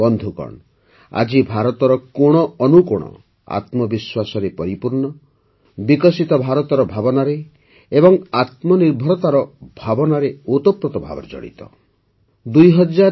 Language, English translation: Odia, Friends, today every corner of India is brimming with selfconfidence, imbued with the spirit of a developed India; the spirit of selfreliance